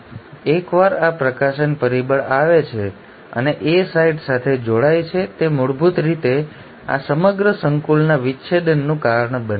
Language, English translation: Gujarati, And once this release factor comes and binds to the A site, it basically causes the dissociation of this entire complex